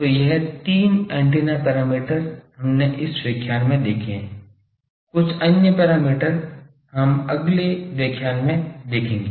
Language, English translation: Hindi, So, this three antenna parameters we have seen in this lecture, some other more antenna parameters we will see in the next lecture